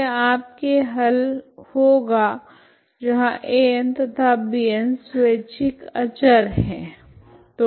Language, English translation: Hindi, So these are your solutions where A n, B n are arbitrary constants, okay